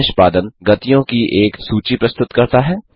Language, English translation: Hindi, It presents a list of execution speeds